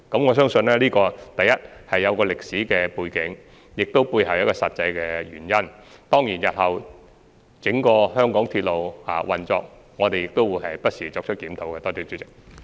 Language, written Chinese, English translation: Cantonese, 我相信這個問題有其歷史背景，背後亦有實際原因，當然，我們亦會不時檢討香港整個鐵路系統日後的運作情況。, I believe this issue has its historical background and there are also practical reasons behind it . Certainly we will also review from time to time the future operation of the entire railway system in Hong Kong